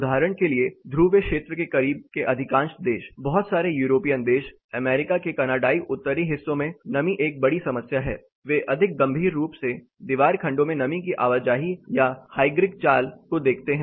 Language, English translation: Hindi, For example, much of the countries in close to the polar region, say lot of European countries, Canadian Northern parts of US, moisture is a major problems they look at moisture movement hygric movement across the wall sections more critically